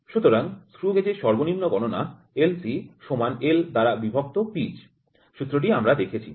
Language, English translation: Bengali, So, the least count LC of the screw gauge is equal to pitch by L we saw the formula